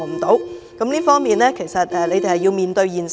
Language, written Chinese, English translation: Cantonese, 在這方面，政府要面對現實。, The Government has to be realistic